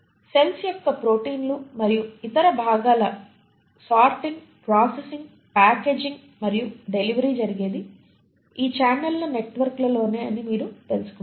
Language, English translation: Telugu, And you find that it is in these networks of channels that the sorting, processing, packaging and delivery of the proteins and other constituents of the cells happen